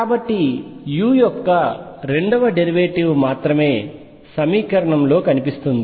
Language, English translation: Telugu, So, that only the second derivative of u appears in the equation